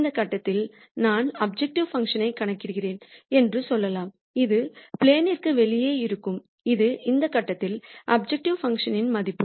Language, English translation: Tamil, Let us say I compute the objective function at this point then this is going to be outside the plane and this is a value of the objective function at this point